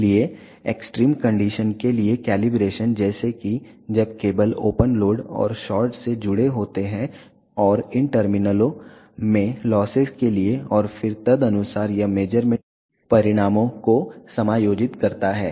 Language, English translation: Hindi, So, the calibration accounts for the extreme condition like when the cables are connected to open load and the short, and the account for the losses in these terminals and then accordingly it adjust the measurement results